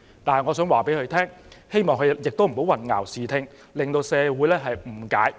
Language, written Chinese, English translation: Cantonese, 但是，我促請他不要混淆視聽，引起社會誤解。, Nevertheless I urge him not to obscure the fact and cause misunderstanding in society